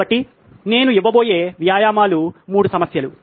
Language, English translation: Telugu, So the exercises that I am going to give are 3 problems